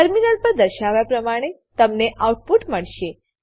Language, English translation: Gujarati, You will get the output as displayed on the terminal